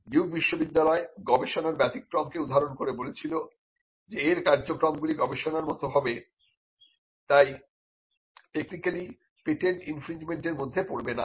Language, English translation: Bengali, Duke University pleaded research exception saying that its activities would amount to research and hence, it should not technically fall within patent infringement